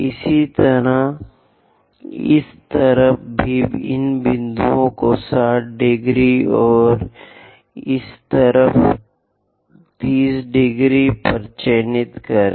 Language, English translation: Hindi, Similarly, on this side also mark these points 60 degrees, and on this side 30 degrees